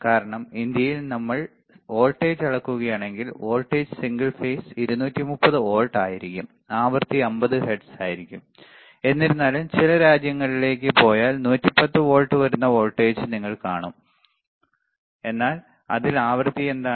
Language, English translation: Malayalam, Because in India, right if we measure the voltage the voltage would be single phase 230 volts and the frequency is 50 hertz, 50 hertz right; however, if you go to some countries, you will also see a voltage which is 110 volts, but in that what is the frequency